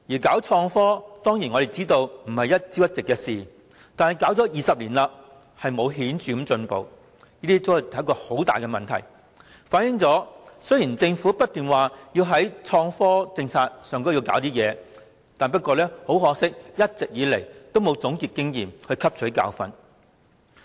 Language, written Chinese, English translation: Cantonese, 我們當然明白搞創科並非一朝一夕的事，但搞了20年都沒有顯著進步，這便是很大問題，反映政府雖然不斷推出創科政策，但一直以來都沒有總結經驗，汲取教訓。, Of course we know that IT development cannot attain success overnight but no significant progress has been made after 20 years . Then it is a big problem . It reflects that despite the continuous introduction of IT policies the Government has never learnt from its experience